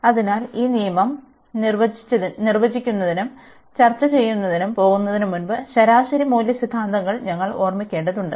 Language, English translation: Malayalam, So, before we go to define this rule discuss this rule, we need to recall the mean value theorems